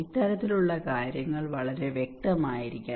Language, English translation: Malayalam, This kind of things should be very clear